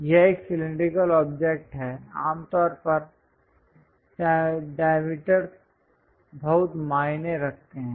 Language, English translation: Hindi, It is a cylindrical object, usually the diameters matters a lot